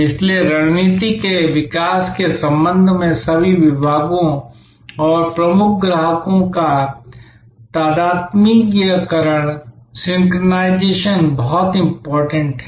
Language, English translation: Hindi, So, the synchronization of all departments and key customers with respect to the strategy evolution is very important